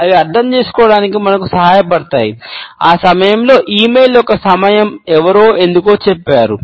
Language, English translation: Telugu, They help us to understand, why did someone said that timing of the e mail at that point